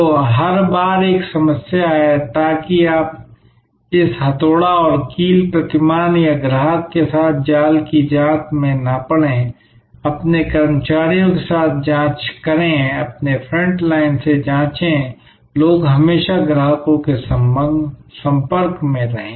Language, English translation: Hindi, So, every time there is a problem, so that you do not fall into this hammer and nail paradigm or trap check with the customer, check with your employees, check with your front line, the people always in contact with the customers